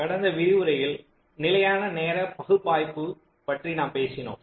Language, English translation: Tamil, so in the last lecture we have been talking about static timing analysis